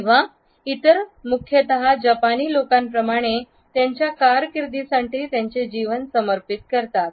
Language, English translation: Marathi, Or others mainly dedicate their lives for their career like the Japanese